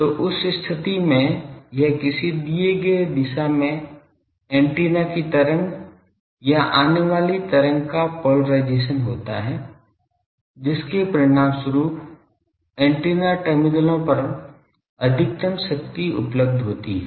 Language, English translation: Hindi, So, in that case it is the polarisation of the incident wave or incoming wave to the antenna from a given direction which results in maximum available power at the antenna terminals